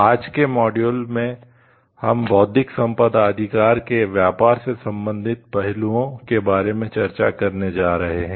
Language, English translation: Hindi, In today s module, we are going to discuss about the Trade related aspects of Intellectual Property Rights